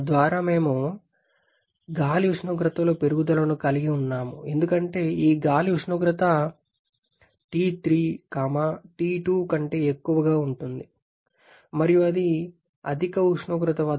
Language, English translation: Telugu, Thereby we are having an increase in the air temperature because this air temperature T3 will be greater than T2 and so it is entering the combustion chamber at higher temperature